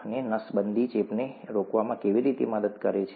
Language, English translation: Gujarati, And how does sterilization help in preventing infection